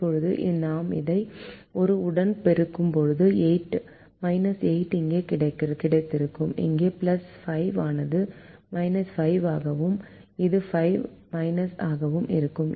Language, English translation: Tamil, now, when we multiply this with the minus one, we would have got minus eight here and this plus five would also have become minus five, and this also has minus four